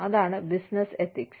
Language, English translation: Malayalam, And, that is Business Ethics